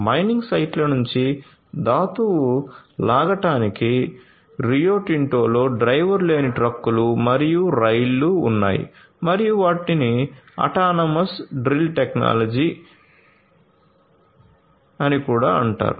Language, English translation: Telugu, So, Rio Tinto has driverless trucks and trains to pull ore from the mining sites and they also have the autonomous drill technology